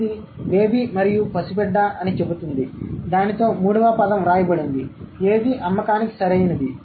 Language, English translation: Telugu, It says baby and toddler then there is a third word which is written is what